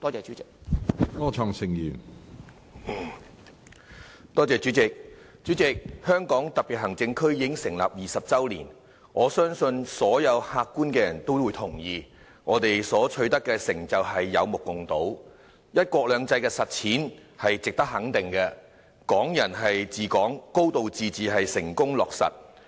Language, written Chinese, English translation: Cantonese, 主席，香港特別行政區已經成立20周年，我相信所有客觀的人都會同意，我們取得的成就有目共睹，"一國兩制"的實踐是值得肯定的，"港人治港"、"高度自治"成功落實。, President the Hong Kong Special Administrative Region has been established for 20 years I believe all objective persons will agree that our achievements are obvious to all . The manifestation of one country two systems is commendable and the principles of Hong Kong people administering Hong Kong and a high degree of autonomy have been implemented successfully